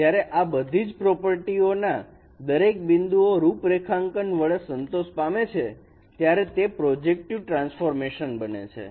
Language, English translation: Gujarati, When these properties are satisfied for every configuration of points, then this is a projective transformation